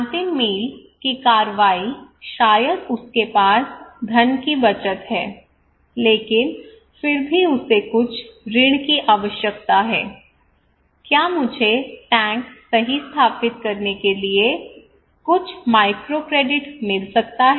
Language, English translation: Hindi, Last mile action maybe he has money savings, but still he needs some loan, can I get some microcredit to install the tank right